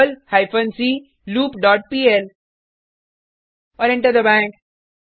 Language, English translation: Hindi, perl hyphen c doWhileLoop dot pl and press Enter